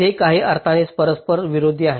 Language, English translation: Marathi, they are mutually conflicting in some sense